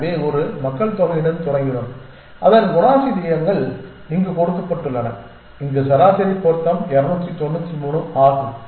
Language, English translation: Tamil, So, we started with the one population whose characteristics are given here average fitness is 293